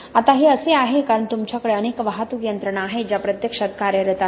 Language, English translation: Marathi, Now this is because you have multiple transport mechanisms that are actually acting